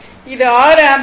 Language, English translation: Tamil, It will 6 ampere